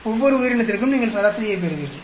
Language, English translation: Tamil, For each of the organism you get an average